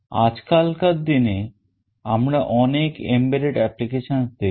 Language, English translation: Bengali, Nowadays we see lot of embedded applications